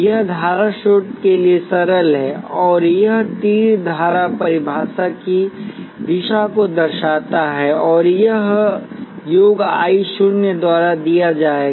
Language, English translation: Hindi, This is the simple for a current source, and this arrow denotes the direction of the current definition and that will be given by sum I naught